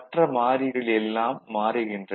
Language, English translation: Tamil, So, only one variable is changing